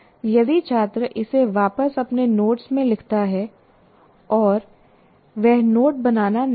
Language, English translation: Hindi, If you write that back into your own notes, that doesn't become note making